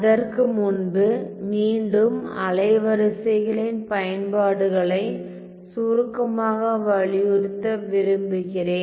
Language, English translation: Tamil, So, before that again I just want to briefly emphasize the applications of wavelets